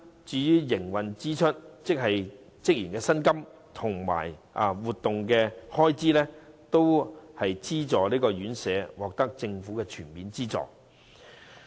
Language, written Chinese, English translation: Cantonese, 至於營運支出方面，即職員的薪金及活動開支等，資助院舍也會獲政府全面資助。, As for the operational expenditure including staff salaries and event expenses and so on subsidized homes will receive full subsidy from the Government